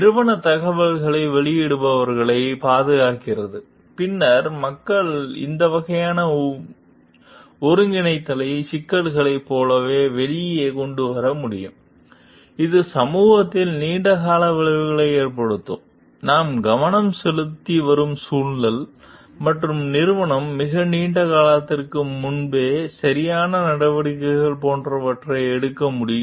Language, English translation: Tamil, And the company protects of whistleblower; then people will be able to bring out more like these type of integrated problems, which may have a long term effect on the maybe the society, the environment that that we come to focus, and the company will be able to take like corrective measures before it is too long